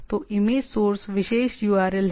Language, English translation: Hindi, So, it is image source is the particular url